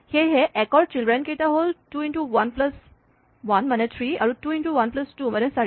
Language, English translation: Assamese, So, the children of 1 are 2 into 1 plus 1, which is 3 and 2 into 1 plus 2, which is 4